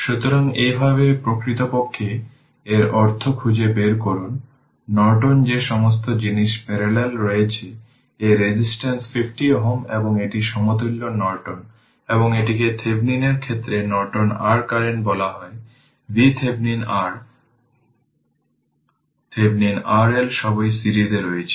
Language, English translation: Bengali, So, this is how actually we find out that means, in Norton that all the things are in parallel; this resistance 50 ohm and this is equivalent Norton, and this is ah what you call that Norton your current in the case of Thevenin, V Thevenin R, Thevenin R L all are in ah series